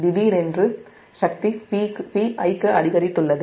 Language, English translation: Tamil, that suddenly power has increased to p i